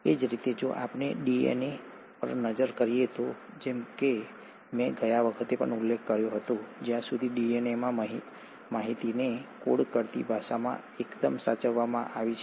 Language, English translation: Gujarati, Similarly, if we were to look at the DNA, as I mentioned last time also, as far as the language which codes the information in DNA has been fairly conserved